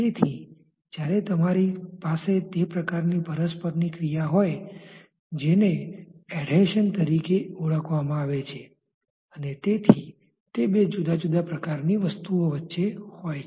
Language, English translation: Gujarati, So, when you have that type of interaction that is known as adhesion, so it is between two different types of entities